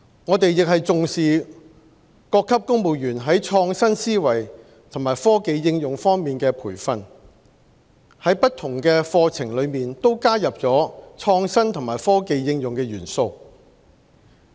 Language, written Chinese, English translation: Cantonese, 我們也重視各級公務員在創新思維和科技應用方面的培訓，在不同課程都加入了創新和科技應用的元素。, We also attach importance to providing training for civil servants at all levels with respect to innovative minds and technology application and have enriched different programmes with elements of innovation and technology application